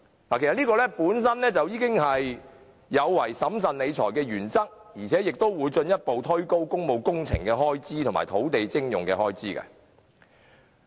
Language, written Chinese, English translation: Cantonese, 其實這樣做本身已違反了審慎理財的原則，亦會進一步推高工務工程和土地徵用的開支。, This is in fact against the principle of financial prudence and will further push up the expenditure on public works projects and land acquisition